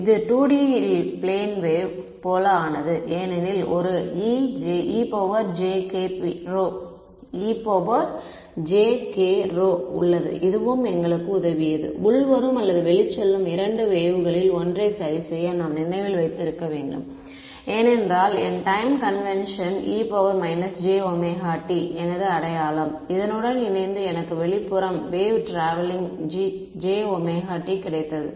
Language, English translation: Tamil, It became like plane wave in 2 D; because there is a e to the minus jk rho and this also what helped us to fix the which of the 2 incoming or outgoing waves we should keep remember because my sign my time convention was e to the j omega t combined with this I got an outward travelling wave right